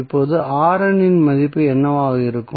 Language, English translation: Tamil, Now, what would be the value of R N